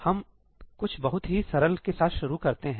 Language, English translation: Hindi, So, let us start with something very simple